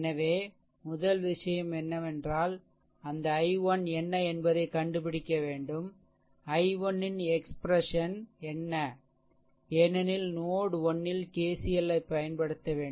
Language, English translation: Tamil, So, first thing is that you have to find out that your what to call that what is the what is the expression of i 1 because you have to apply KCL at node 1